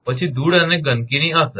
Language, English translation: Gujarati, Then effect of dust and dirt